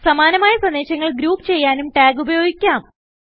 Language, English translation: Malayalam, You can also use tags to group similar messages together